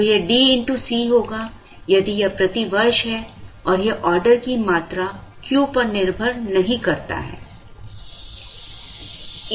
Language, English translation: Hindi, So, it will be D into C if it is per year and it does not depend on Q, the ordering quantity